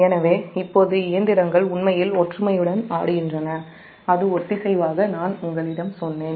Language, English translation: Tamil, so now the machines actually swinging in unison, that is coherently, i told you